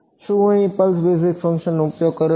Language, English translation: Gujarati, Can I use the pulse basis functions